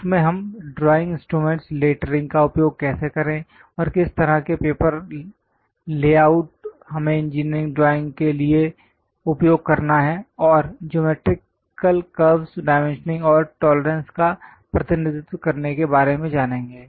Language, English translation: Hindi, In that we know about drawing instruments how to use lettering, and what kind of papers, layouts we have to use for engineering drawing, and representing geometrical curves dimensioning and tolerances we will cover